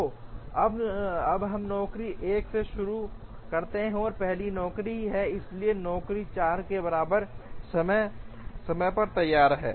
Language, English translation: Hindi, So, we now start with job 1 as the first job, so job 1 is ready at time equal to 4